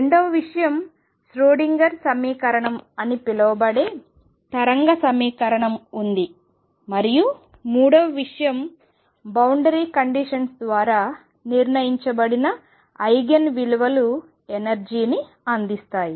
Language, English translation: Telugu, Number 2 there is a wave equation known as the Schrodinger’s equation, and 3 the Eigen values determined by the boundary condition give the energies